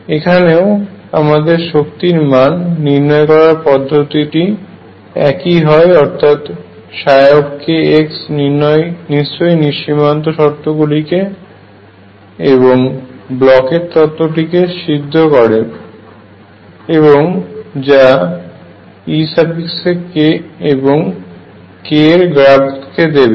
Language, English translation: Bengali, Again our strategy to determine the energy is going to be that psi k x must satisfy the required boundary conditions and Bloch’s theorem; and that will lead to e k versus k picture